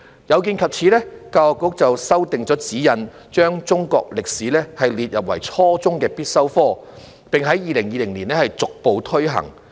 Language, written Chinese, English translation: Cantonese, 有見及此，教育局修訂了指引，把中國歷史列為初中必修科，並在2020年逐步推行。, In view of this the Education Bureau revised the guidelines to make Chinese History a compulsory subject at the junior secondary level which was implemented progressively in 2020